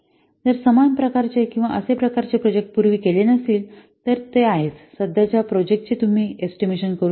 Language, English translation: Marathi, If similar kinds of projects they have not been done earlier then this is then you cannot estimate for the current project